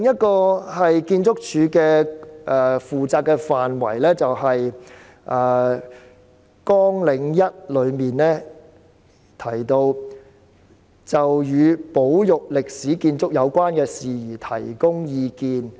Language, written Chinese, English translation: Cantonese, 建築署負責的另一個範圍是綱領1的簡介提到的，"就與保育歷史建築有關的事宜提供意見"。, Another scope of duty of ArchSD is mentioned under the Brief Description of Programme 1 that is to offer advice on matters related to built heritage conservation